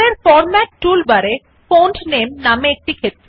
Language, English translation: Bengali, Now in the Format tool bar at the top, we have a field, named Font Name